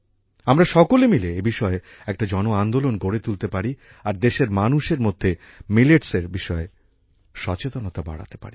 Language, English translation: Bengali, Together we all have to make it a mass movement, and also increase the awareness of Millets among the people of the country